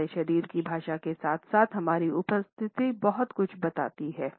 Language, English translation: Hindi, Our body language as well as our appearance reveal a lot